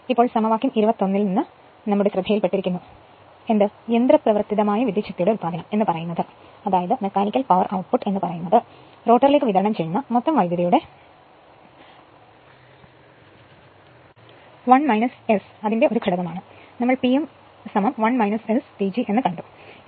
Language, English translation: Malayalam, Now, it is noticed from equation 21, that the mechanical power output is a factor of o1 minus S of the total power delivered to the rotor, we have seen P m is equal to 1 minus S P G